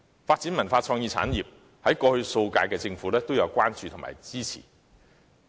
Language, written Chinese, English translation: Cantonese, 至於文化創意產業的發展方面，過去數屆政府也曾給予關注和支持。, As to the development of cultural and creative industries the previous terms of governments had also given attention and support to such industries